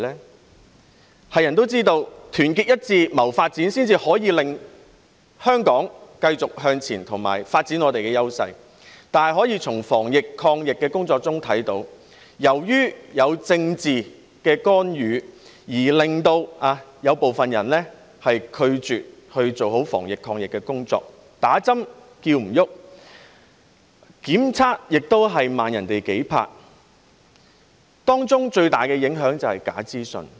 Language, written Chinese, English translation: Cantonese, 所有人也知道，要團結一致謀發展，才可以令香港繼續向前和發展我們的優勢，但從防疫抗疫的工作可以看到，由於有政治干預，令部分人拒絕做好防疫抗疫的工作，勸不動人注射疫苗，檢測也比別人慢數拍，當中最大的影響便是來自假資訊。, We all know that we have to be united in pursuit of development before Hong Kong can move forward and develop its strengths . However we can see from the prevention and fight against the epidemic that owing to political interference some people refuse to do the anti - epidemic work properly . People are not convinced of the need to take vaccinations